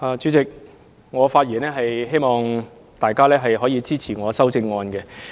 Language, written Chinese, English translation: Cantonese, 主席，我發言呼籲大家支持我的修正案。, Chairman I rise to speak with the intention of urging Members to support my amendment